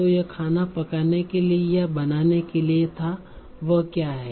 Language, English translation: Hindi, So this was for cooking and this was for making